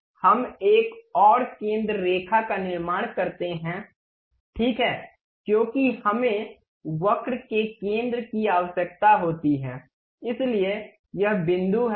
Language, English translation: Hindi, We construct one more center line, ok because we require center of the curve, so this is the point